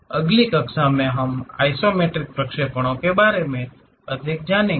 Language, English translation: Hindi, In the next class, we will learn more about these isometric projections